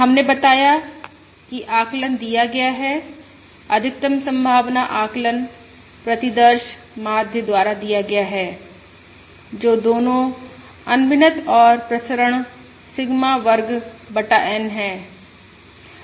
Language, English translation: Hindi, We have said that the estimate is given, the maximum likelihood estimate is given by the sample mean, which is both unbiased and has a variance of Sigma square by N